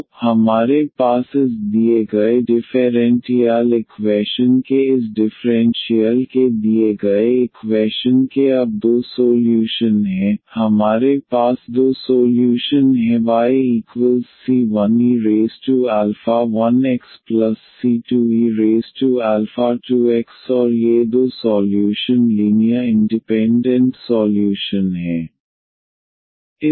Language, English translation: Hindi, So, we have two solutions now of the given this differential equation of this given differential equation, we have two solution the one is y is equal to e power alpha 2 x another 1 is y is equal to e power alpha 1 x and these two solutions are linearly independent solutions